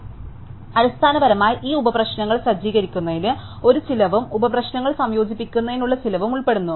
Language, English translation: Malayalam, So, basically there is a cost involve with setting up this sub problems and a cost to involved with combining the subproblems